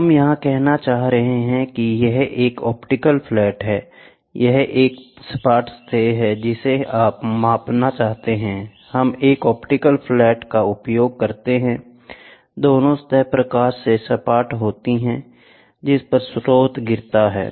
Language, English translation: Hindi, So, what we are trying to say is, we are trying to say this is an optical flat, this is a flat surface you want to measure the flatness of the surface, we use an optical flat, both the surfaces are flat at the light from the source falls on it